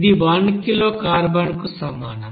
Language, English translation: Telugu, This is you know kg of carbon